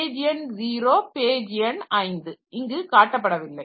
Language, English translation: Tamil, So, page number 0 is page number 5 is not shown here